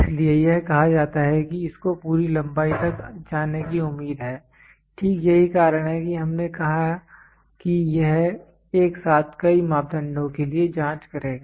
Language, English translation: Hindi, So, that is why it is asked it is expected to GO to the fullest length, right that is why we said simultaneously it will check for multiple parameters